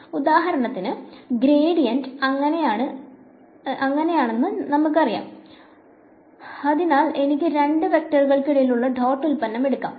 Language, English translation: Malayalam, So, for example, of course, we know that the gradient is that so, I can take the dot product between two vectors